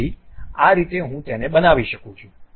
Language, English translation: Gujarati, So, that is the way I can really construct it